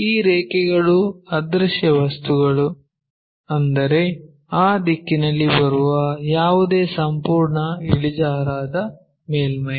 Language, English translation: Kannada, These lines are invisible things ; that means, that entire inclined surface whatever it is coming in that direction